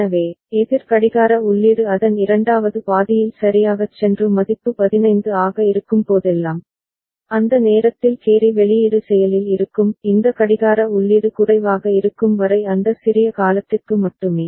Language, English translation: Tamil, So, whenever the counter clock input goes low in the second half of it right and the value is 15, then at that time the carry output will be active ok; only for that small duration as long as this clock input is remaining low